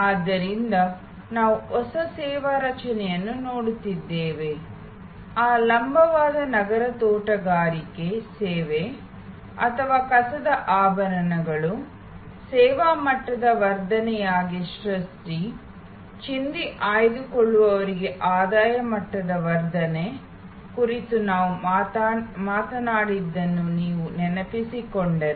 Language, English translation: Kannada, So, we were looking at new service creation, like if you recall we talked about that vertical urban gardening service or jewelry from trash, creation as a service level enhancement, income level enhancement for rag pickers